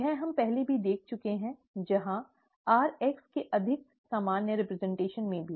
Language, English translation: Hindi, This we have already seen earlier, where even in a more generic representation of rx